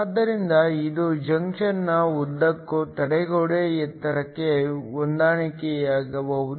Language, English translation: Kannada, So, This could correspond to a barrier height across the junction